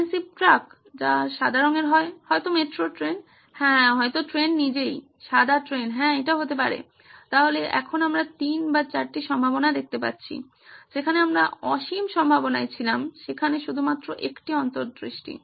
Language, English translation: Bengali, A massive truck, which is white in color, maybe a metro train yeah, maybe a train itself, a white train yeah, that’s the good one, so now we are down to 3 or 4 possibilities that’s it, from the infinite that we had with just one insight